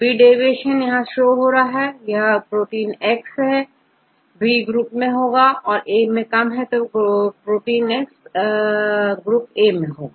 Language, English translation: Hindi, B is less, then this belongs to group B, if A is less, then the protein x belongs to group A